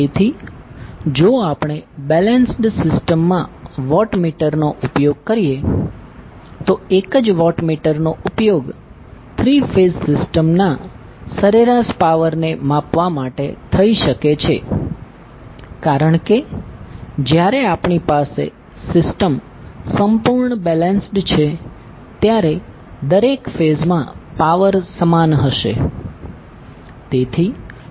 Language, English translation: Gujarati, So if we use the watt meter in case of balance system single watt meter can be used to measure the average power in three phase system because when we have the system completely balanced the power in each phase will be equal